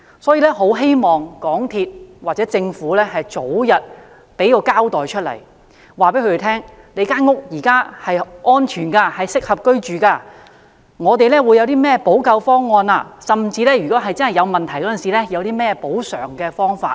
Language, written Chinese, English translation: Cantonese, 因此，我很希望港鐵公司或政府可以早日作出交代，告訴他們其現時居住的樓宇是安全和適合居住的，以及港鐵公司會採取甚麼補救方案，甚至在出現問題時會有何補償方法。, As such I really hope MTRCL or the Government can give an account expeditiously so as to assure the residents that their buildings are safe and suitable for dwelling . MTRCL should also put forth the remedial measures to be taken and the compensation package in case problems arise